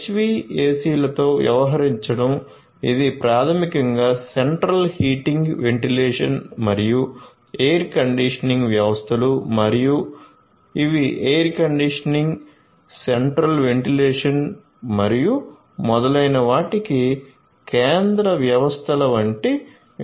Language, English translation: Telugu, Dealing with the HVACs which are basically the Central Heating Ventilation and Air Conditioning systems and these are the systems which are like you know central systems for air conditioning, central ventilation and so on